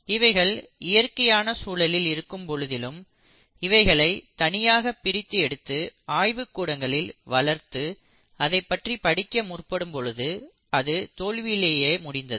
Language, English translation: Tamil, And you find that although you see them in these natural environments, when you try to isolate and culture them in the lab and you try to then study it, it has not been very successful